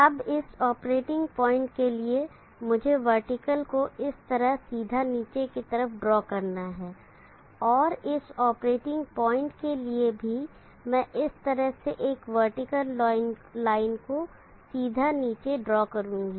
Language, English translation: Hindi, Now for this operating point let me draw vertical down straight down like this, and for this operating point also I will draw a vertical line straight down like this